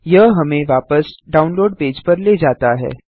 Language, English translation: Hindi, This takes us back to the download page